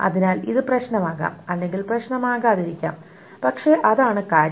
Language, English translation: Malayalam, So this can be problematic, or whatever it may or may or may not be problematic, but that is the thing